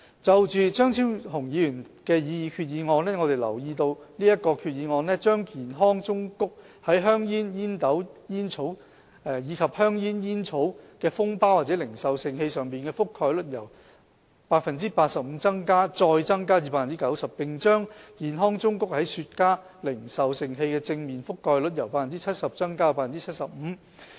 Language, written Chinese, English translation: Cantonese, 就張超雄議員提出的擬議決議案，我們留意到這項決議案把健康忠告在香煙、煙斗煙草及香煙煙草的封包或零售盛器上的覆蓋率由 85% 再增加至 90%， 並把健康忠告在雪茄零售盛器的正面的覆蓋率由 70% 增加至 75%。, As to Dr Fernando CHEUNGs proposed resolution we note that it seeks to expand the coverage of the health warnings on the packets or retail containers of cigarettes pipe tobacco and cigarette tobacco from 85 % further to 90 % and to expand the coverage of the health warnings on the front of the retail containers of cigars from 70 % to 75 %